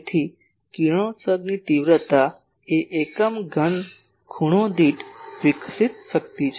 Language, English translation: Gujarati, So, the radiation intensity Is the power radiated per unit solid angle ok